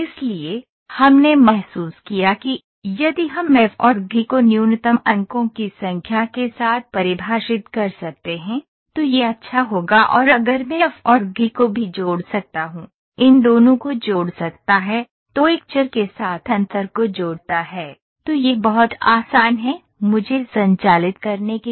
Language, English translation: Hindi, So, we felt that, if we can define if we can define f and g with minimum number of points, it will be good and if I can also connect f and g through one more, connect these two, inter connect with a variable, then that is much more easier for me to operate